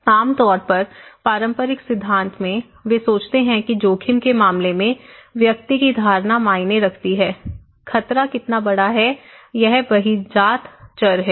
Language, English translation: Hindi, Generally, in the conventional theory, they think that individual's perception of risk matter, how big the hazard is; the exogenous variable